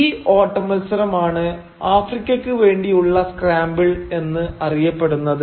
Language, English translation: Malayalam, And this race is what is known as the Scramble for Africa